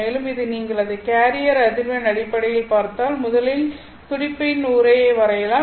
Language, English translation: Tamil, You will also see that if you look at it in terms of its carrier frequency you will see that first let me draw the pulse envelope